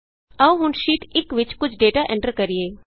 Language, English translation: Punjabi, Now lets enter some data in Sheet 1